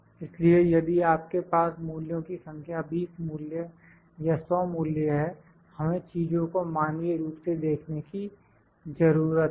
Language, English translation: Hindi, For instance if you have 20 values 100 values, we need not to see the things manually